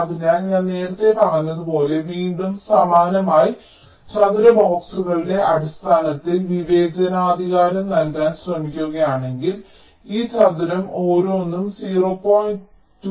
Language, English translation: Malayalam, so if you again, similarly as i said earlier, try to discretize it in terms of square boxes, each of this square will be point three, two micron